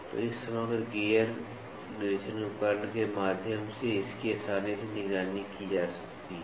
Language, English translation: Hindi, So, this can be easily monitored through this composite gear inspection device